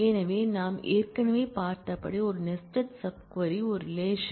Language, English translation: Tamil, So, as we have already seen a nested sub query is a relation